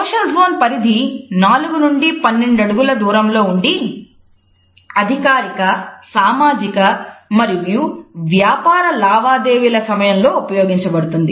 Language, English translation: Telugu, Social zone is from 4 to 12 feet, which is a distance which is reserved for formal social and business transactions